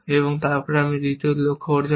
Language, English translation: Bengali, Then, we will achieve the next sub goal